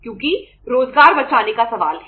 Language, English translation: Hindi, Because there is a question of saving the employment